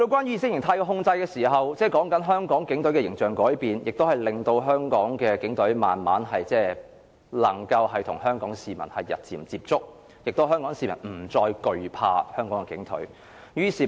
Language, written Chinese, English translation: Cantonese, 意識形態的控制令香港警隊的形象改變，亦令香港警隊慢慢能與香港市民接觸，香港市民不再懼怕香港警隊。, Thanks to the ideological control the image of the Hong Kong Police Force has improved . Hong Kong people no longer fear about the Police Force as there have been more and more interactions between the two